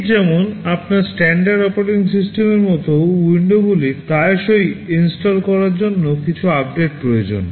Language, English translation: Bengali, Just like your standard operating systems like windows that frequently needs some updates to be installed